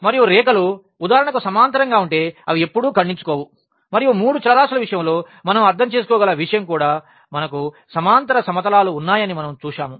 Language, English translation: Telugu, And then we have also seen that if the lines are parallel for example, that they never intersect and the same thing we can interpret in case of the 3 variables also that we have the parallel planes